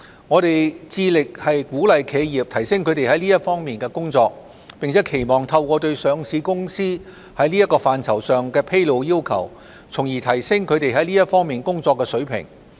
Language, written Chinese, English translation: Cantonese, 我們致力鼓勵企業提升它們在這些方面的工作，並期望透過對上市公司在這範疇上的披露要求，從而提升它們這些方面工作的水平。, We are committed to encouraging enterprises to enhance their work in these aspects and expect to elevate the level of their work in these aspects through setting relevant disclosure requirements on ESG aspects for listed companies